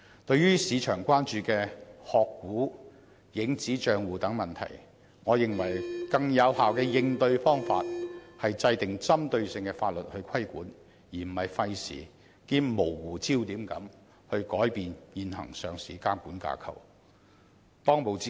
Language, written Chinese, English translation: Cantonese, 對於市場關注的"殼股"和"影子帳戶"等問題，我認為更有效的應對方法是制定針對性的法律作出規管，而非費時兼模糊焦點地改變現行的上市監管架構。, With regard to market concerns on such issues as shares issued by shell companies and shadow accounts I think it will be more effective to address the problems by exercising regulation through enactment of legislation targeting at the issues instead of wasting time on introducing changes to the existing listing regulatory structure which is actually an attempt that has missed the whole point